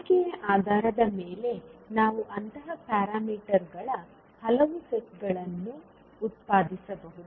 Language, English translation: Kannada, So based on the choice we can generate many sets of such parameters